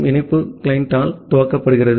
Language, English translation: Tamil, And the connection it is initialized by the client